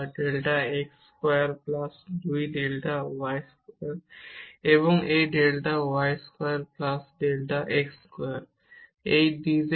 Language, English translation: Bengali, So, this delta z is delta x delta y over delta x square plus delta y square and d z is 0